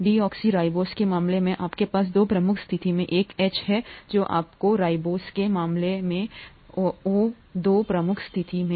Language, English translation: Hindi, In the case of deoxyribose you have an H in the two prime position, in the case of ribose you have an OH in the two prime position